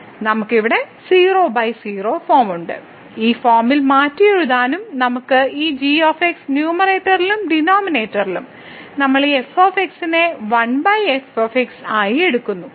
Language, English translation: Malayalam, So, we have here 0 by 0 form we can also rewrite in this form that we keep this in the numerator and in the denominator we take this as 1 over